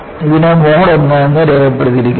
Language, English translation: Malayalam, This is labeled as Mode I